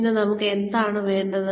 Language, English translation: Malayalam, And, what do we need